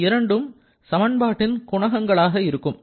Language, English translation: Tamil, So, you know that these two will be the coefficients